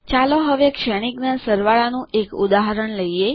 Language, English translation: Gujarati, Now let us write an example for Matrix addition